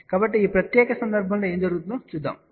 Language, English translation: Telugu, So, let us see what happens in this particular case